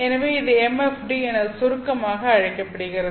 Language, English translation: Tamil, So, this is abbreviated as MFD